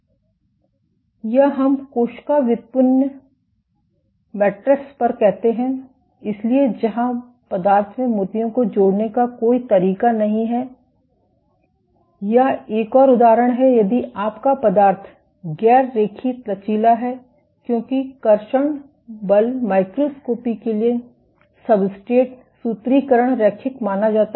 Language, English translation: Hindi, Or let us say on cell derived matrices, so where there is no way of adding beads into the material, or one more example is if your material is non linearly elastic because the formulation for traction force microscopy assumes linear elastic substrates